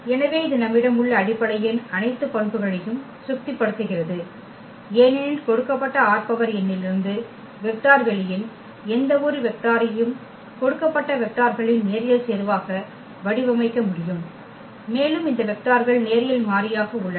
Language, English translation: Tamil, So, it satisfies all the properties of the basis we have this is a spanning set because, we can span any vector of the given vector space in the form of as a linear combination of the given vectors and also these vectors are linearly independent